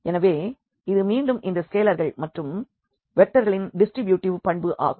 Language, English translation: Tamil, So, this is again this distributivity property of these scalars and vectors